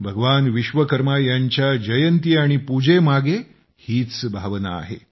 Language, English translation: Marathi, This is the very sentiment behind the birth anniversary of Bhagwan Vishwakarma and his worship